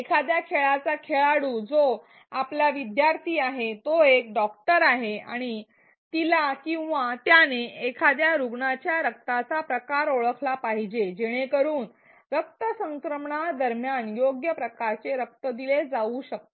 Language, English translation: Marathi, The player of a game that is our learner is a doctor and she or he has to identify the blood type of a patient, so, that the correct type of blood can be given during the transfusion